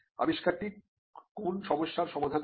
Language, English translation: Bengali, What was the problem that the invention solved